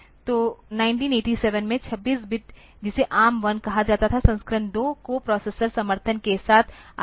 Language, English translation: Hindi, So, 26 bit that was called ARM 1 in 1987 the version 2 came with the coprocessor support